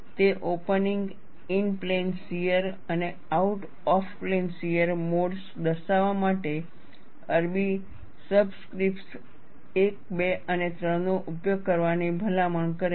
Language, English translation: Gujarati, It recommends the use of Arabic subscripts, 1, 2 and 3 to denote opening, in plane shear and out of plane shear modes